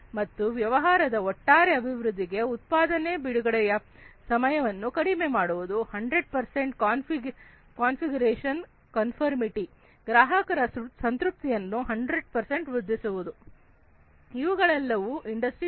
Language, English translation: Kannada, And overall improvement of the business decreasing the delay time in product release ensuring 100 percent configuration conformity, improving 100 percent customer satisfaction, these are all the different business objectives of PLM for Industry 4